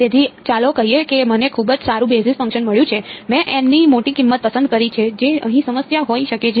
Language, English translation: Gujarati, So, let us say that I have got very good basis function I have chosen a large value of N anything else that could be a problem over here